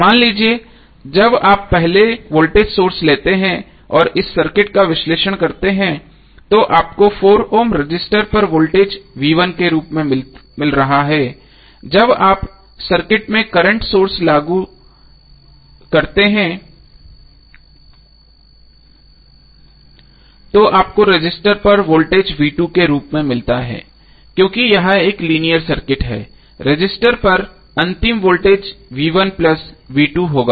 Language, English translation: Hindi, So suppose when you take voltage source first and analyze this circuit you have got voltage across 4 ohm resistor as V1 when you apply circuit apply current source in the circuit you get voltage across resistor as V2 since it is a linear circuit the final voltage across resistor would be V1 plus V2